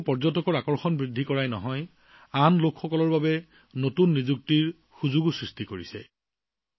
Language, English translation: Assamese, This has not only increased the attraction of tourists; it has also created new employment opportunities for other people